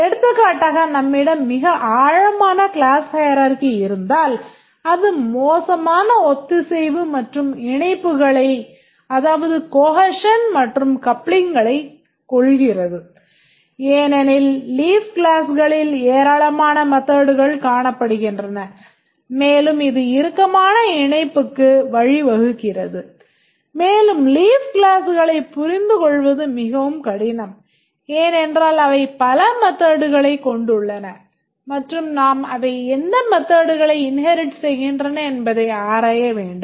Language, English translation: Tamil, For example, if we have a very deep class hierarchy, then it has poor cohesion and coupling because a large number of methods are visible in the leaf classes and that leads to tight coupling and it makes it very difficult to understand the leaf classes because they have too many methods and we need to examine what are the methods it has inherited